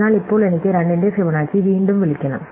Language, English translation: Malayalam, So, now I have to call Fibonacci of 2 again